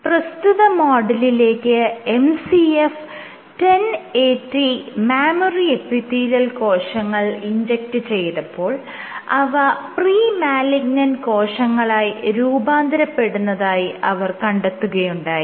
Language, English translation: Malayalam, So, in this model, when they injected MCF 10AT mouse embryonic sorry mammary epithelial cells, what they find is these guys form pre malignant tissues